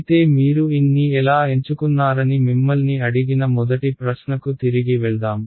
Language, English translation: Telugu, But let us get back to this the first question which I asked you how you chose n right